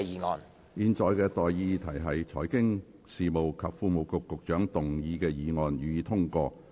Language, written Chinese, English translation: Cantonese, 我現在向各位提出的待議議題是：財經事務及庫務局局長動議的議案，予以通過。, I now propose the question to you and that is That the motion moved by the Secretary for Financial Services and the Treasury be passed